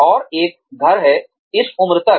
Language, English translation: Hindi, And, have a house, by this age